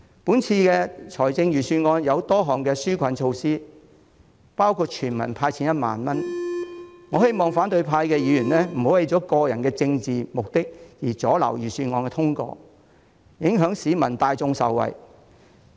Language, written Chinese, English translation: Cantonese, 今次的預算案有多項紓困措施，包括全民"派錢 "1 萬元，我希望反對派議員不要為了個人政治目的阻撓預算案通過，影響市民大眾受惠。, A host of relief measures have been presented in this Budget including a universal cash payout of 10,000 . I call on Members from the opposition camp not to obstruct the passage of the Budget for their own political agenda and affect the well - being of the general public